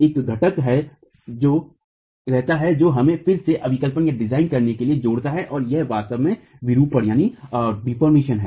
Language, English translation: Hindi, There is one component that remains which again links us to design and that is really deformations